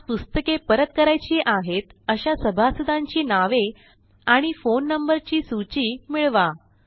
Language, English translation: Marathi, Get a list of member names and their phone numbers, who need to return books today 4